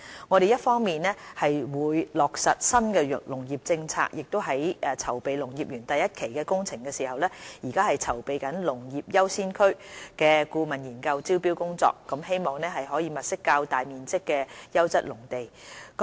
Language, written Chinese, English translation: Cantonese, 我們會落實新農業政策，在籌備農業園第一期工程之餘，亦正籌備"農業優先區"顧問研究的招標工作，希望可以物色較大面積的優質農地。, We will implement the New Agriculture Policy . Apart from preparing for the Agricultural Park Phase 1 project we are also making preparations for the tendering of the consultancy study on designating Agricultural Priority Areas which hopefully would help identify larger pieces of high - quality agricultural land